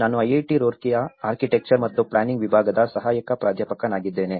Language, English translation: Kannada, I am an assistant professor from Department of Architecture and Planning, IIT Roorkee